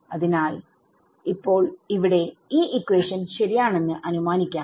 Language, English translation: Malayalam, So, for now let us just assume that this equation is correct